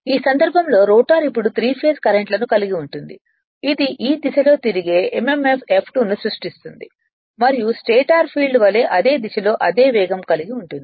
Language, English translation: Telugu, In this case the rotor now carries three phase currents creating the mmf F2 rotating in the same direction and with the same speed as the stator field